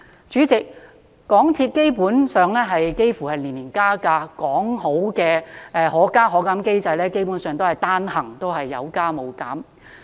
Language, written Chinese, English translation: Cantonese, 主席，港鐵基本上年年加價，說好的"可加可減"機制，基本上只是單行加價，沒有減價。, President MTRCL basically increases its ticket fares every year . Basically it only increases the fares . Never has it reduced its fares